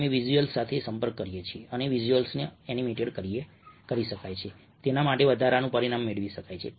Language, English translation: Gujarati, we can interact with the visuals and the visual can be animated, ah, getting an additional dimension to it